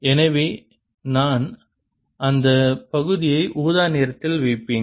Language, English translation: Tamil, so i will just put that an area and purple